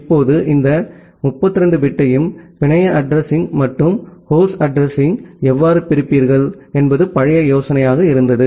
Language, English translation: Tamil, Now, the old idea was divide that how will you divide this entire 32 bit into the network address and the host address